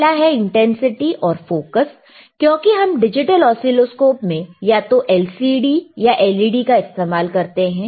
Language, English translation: Hindi, So, first is the intensity and focus right, because in that we have we are using in digital oscilloscope either LCD or LED